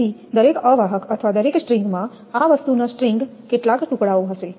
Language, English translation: Gujarati, So, in each insulator or each string this thing a string there will be several pieces